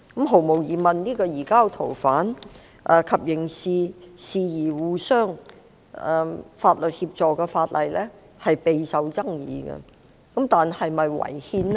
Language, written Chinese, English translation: Cantonese, 毫無疑問，該項有關移交逃犯及刑事事宜相互法律協助的法案備受爭議，但是否違憲呢？, There is no doubt that the bill on the surrender of fugitives and mutual legal assistance in criminal matters is controversial . However is it unconstitutional?